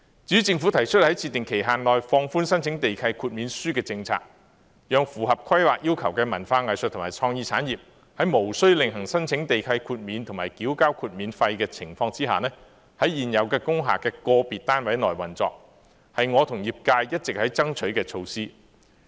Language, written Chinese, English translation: Cantonese, 至於政府提出在設定期限內放寬申請地契豁免書的政策，讓符合規劃要求的文化藝術和創意產業，在無需另行申請地契豁免和繳交豁免費的情況下，在現有工廈的個別單位內運作，這是我和業界一直爭取的措施。, Moreover the Government proposed to relax the waiver application policy on a time - limited basis to permit the arts and cultural sectors and creative industries to operate at individual units of existing industrial buildings without the need for making separate waiver applications and paying waiver fees so long as such uses are permitted under the planning regime . This is an initiative that industry players and I have all along been pushing for